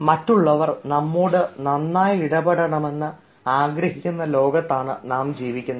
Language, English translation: Malayalam, i mean, we are living in a world where we want that others should be good